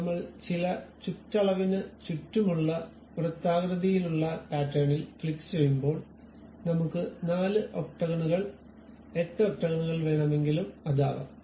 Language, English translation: Malayalam, Now, when I click the circular pattern around certain circumference all these octagons will be placed something like whether I would like to have 4 or 8 octagons